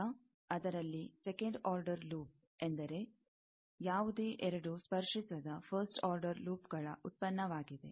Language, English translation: Kannada, Second order loop is product of any two non touching first order loop